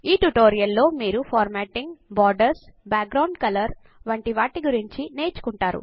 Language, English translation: Telugu, In this tutorial we will learn about:Formatting Borders, background colors